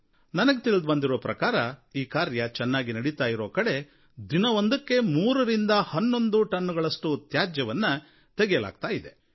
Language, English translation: Kannada, I have been told a few days ago that in places where this work is being carried out properly nearly 3 to 11 tonnes of garbage are being taken out of the river every day